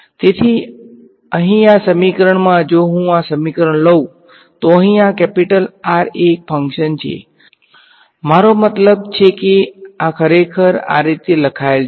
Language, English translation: Gujarati, So, in this equation over here if I take this equation, this capital R over here is a function of; I mean this is actually written like this right